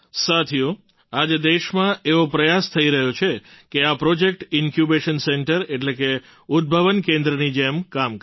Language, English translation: Gujarati, Friends, today an attempt is being made in the country to ensure that these projects work as Incubation centers